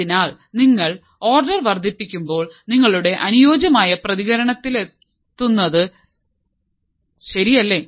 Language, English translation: Malayalam, So, as you increase the order you reach your ideal response correct